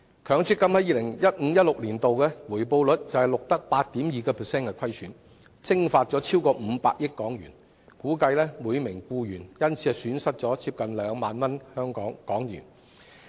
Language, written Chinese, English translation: Cantonese, 強積金於 2015-2016 年度便錄得 8.2% 虧損，蒸發超過500億港元，估計每名僱員因而損失近2萬港元。, In 2015 - 2016 MPF schemes recorded a loss of 8.2 % with more than HK50 billion evaporated . It is estimated that each employee has thus lost nearly HK20,000